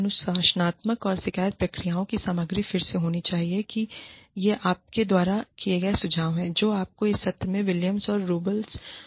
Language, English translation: Hindi, The content of disciplinary and grievance procedures, should contain, again, these are suggestions, given by, you know, by Williams and Rumbles, in this paper